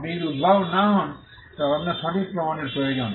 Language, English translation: Bengali, If you are not the inventor, then, you require a proof of right